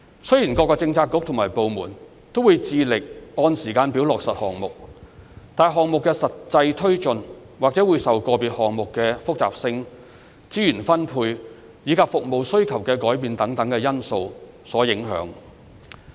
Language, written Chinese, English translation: Cantonese, 雖然各政策局及部門均致力按時間表落實項目，但項目的實際推進，或會受到個別項目的複雜性、資源分配，以及服務需求的改變等因素所影響。, Although the relevant bureaux and departments are committed to implementing the projects on schedule their actual progress may be subject to a variety of factors such as the complexity of individual projects resource allocation and changes in service requirements